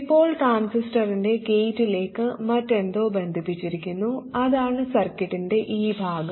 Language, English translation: Malayalam, Now we have something else connected to the gate of the transistor that is this point, that is this part of the circuit